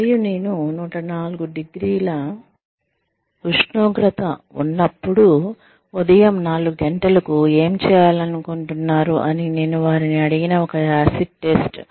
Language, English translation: Telugu, And, the acid test, that I asked them to use is, what would you like to do, at 4 o'clock in the morning, when you have 104 degrees temperature